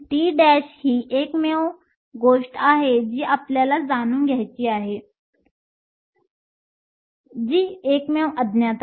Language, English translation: Marathi, So, T prime is the only thing we want to know is the only unknown